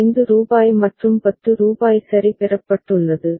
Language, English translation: Tamil, Rupees 5 and rupees 10 has been received ok